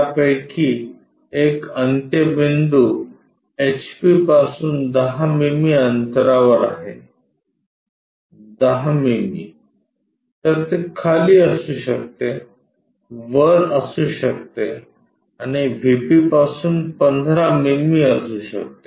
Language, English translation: Marathi, One of it is ends A at 10 mm from HP from HP 10 mm so, it can be down it can be above and 15 mm from the VP